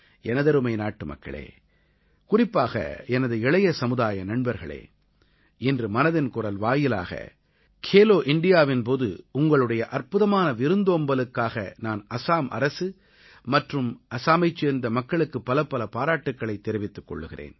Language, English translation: Tamil, My dear countrymen and especially all my young friends, today, through the forum of 'Mann Ki Baat', I congratulate the Government and the people of Assam for being the excellent hosts of 'Khelo India'